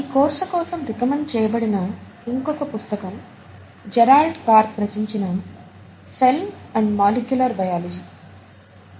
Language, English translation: Telugu, Another book that is also recommended as a reference book for this course is “Cell and Molecular Biology” by Gerald Karp